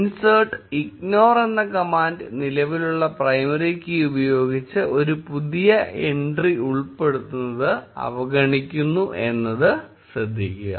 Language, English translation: Malayalam, Note that the insert ignore command ignores the insertion of a new entry with previously existing primary key